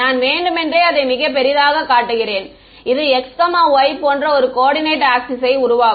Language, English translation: Tamil, I am purposely showing it very big and let us make a coordinate axis like this x y ok